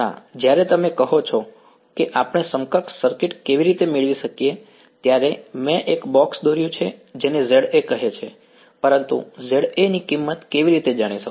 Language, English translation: Gujarati, No when you say how do we get the equivalent circuit I have drawn a box which say Za, but how do I know the value of Za is